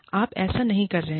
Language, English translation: Hindi, You are not doing this